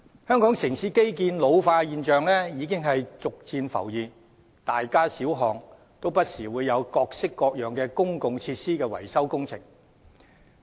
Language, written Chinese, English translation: Cantonese, 香港城市基建老化的現象已逐漸浮現，大街小巷不時會有各式各樣的公共設施維修工程。, Signs of the ageing of urban infrastructure have gradually surfaced in Hong Kong as we will see on the streets different types of repair works being carried out for public facilities from time to time